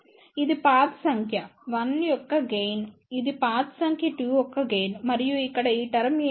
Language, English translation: Telugu, This is the gain of path number 1 this is the gain of the path number 2 and what are these terms here